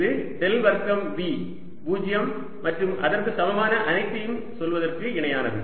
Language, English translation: Tamil, this is equivalent to saying del square v zero and all that is equivalent